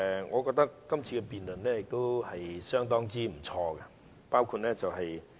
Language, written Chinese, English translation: Cantonese, 我覺得這次辯論相當不錯。, I think this debate is a rather nice one